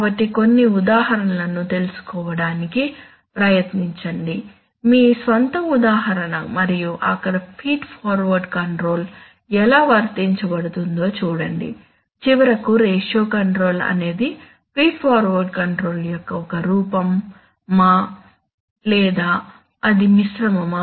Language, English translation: Telugu, So try to find out some example, some, one example of your own and see how the feed forward control is applied there, and finally is ratio control a form of feed forward control or is it a form of feedback control or is it a mixture